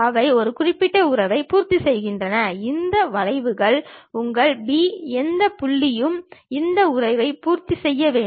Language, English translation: Tamil, They satisfy one particular relation, where your P any point p on that curve, supposed to satisfy this relation